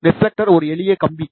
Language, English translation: Tamil, Reflector is also a simple wire